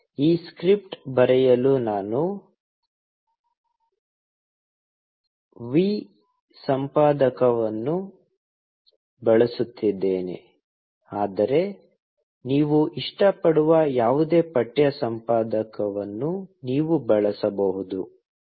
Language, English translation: Kannada, I will be using the vi editor to write this script, but you can use any text editor you like